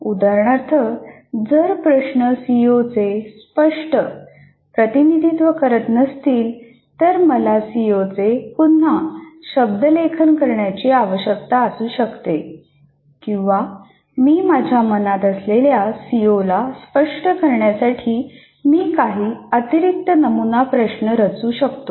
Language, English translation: Marathi, For example, if my problems do not somehow is not exactly representing the CO, I may be required to reword the CO or I may have to redesign some additional sample problems to really capture the CO that I have in mind